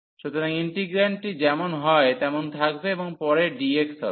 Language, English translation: Bengali, So, the integrand will remain as it is and then later on with dx